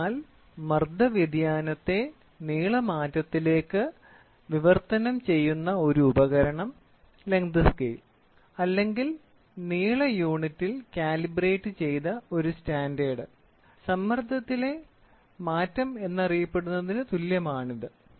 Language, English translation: Malayalam, So, here an instrument which translates pressure change into length change, the length scale or a standard which is calibrated in length units equivalent to known as a change in pressure